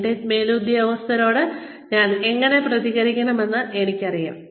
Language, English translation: Malayalam, You know, how I am supposed to respond, to my superiors